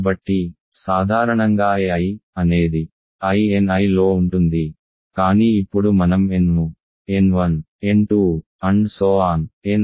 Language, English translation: Telugu, So, in general a I is in I n I, but now I want to take n to be the max of n 1, n 2, n r